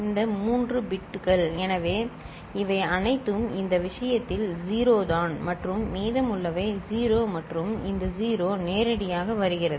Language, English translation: Tamil, This 3 bits so, these are all 0’s in this case and rest all 0 and this 0 is directly coming